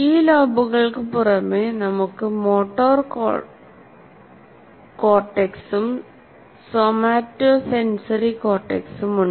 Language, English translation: Malayalam, In addition to this, you have two motor cortex and somatosensory cortex